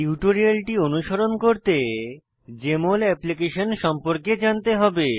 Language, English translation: Bengali, To follow this tutorial you should be familiar with Jmol Application